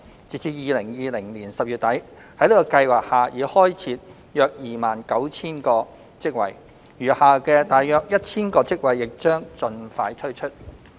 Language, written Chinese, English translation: Cantonese, 截至2020年10月底，在這計劃下已開設約 29,000 個職位，餘下的約 1,000 個職位亦將盡快推出。, As at end of October 2020 around 29 000 jobs have already been created under the Scheme and the remaining 1 000 jobs will be put forward soon